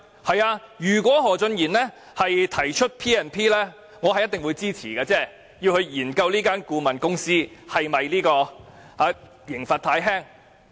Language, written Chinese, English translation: Cantonese, 是的，如果何俊賢議員提出引用《立法會條例》進行調查，我一定會支持，從而研究對這間顧問公司的懲罰是否太輕。, That is right . If Mr Steven HO proposes invoking the Legislative Council Ordinance to conduct an investigation I will definitely render it my support in order to examine whether the penalty for this consultancy firm is too lenient